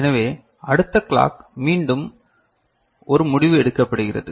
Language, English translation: Tamil, So, next clock again a decision is made right